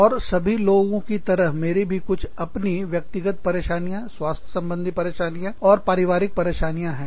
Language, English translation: Hindi, And, like anyone else, i also had some personal crises, health crises, family crises